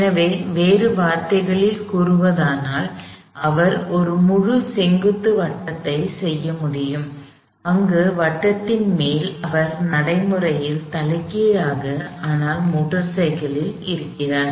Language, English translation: Tamil, So, in other words, he is able to do a full vertical circle, where at the top of the circle, he is practically inverted that on the motor cycle